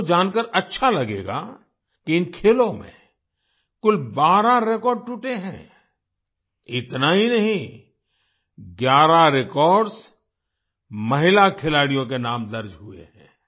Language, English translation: Hindi, You would love to know that a total of 12 records have been broken in these games not only that, 11 records have been registered in the names of female players